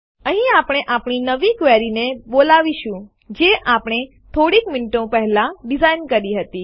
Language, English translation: Gujarati, Here we will call our new query which we designed a few minutes ago